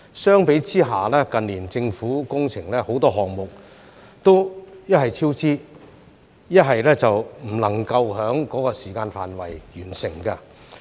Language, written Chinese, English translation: Cantonese, 相比之下，近年政府工程很多項目一是超支，一是不能夠在預計時間內完成。, In comparison many projects carried out by the Government in recent years have either recorded cost overruns or failed to be completed as scheduled